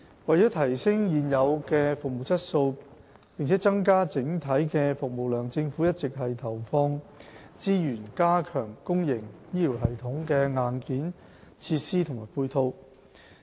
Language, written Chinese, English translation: Cantonese, 為提升現有的服務質素，並增加整體的服務量，政府一直投放資源加強公營醫療系統的硬件設施和配套。, To enhance existing service quality and increase the overall service capacity the Government has all along put in resources in the development of hardware and supporting facilities of the public health care system